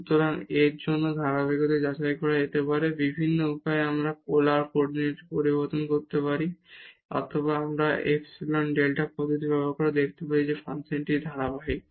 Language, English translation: Bengali, So, the continuity check for this one is can be done by various ways we can change to the polar coordinate or we can also use the epsilon delta approach to show that this function is continuous